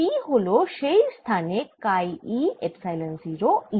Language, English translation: Bengali, p is equal to chi e epsilon zero e there